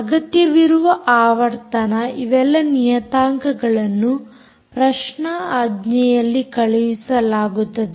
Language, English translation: Kannada, all these parameters are sent out in the query command